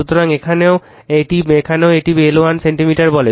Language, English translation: Bengali, So, same is here also here also it is your what you call 1 centimeter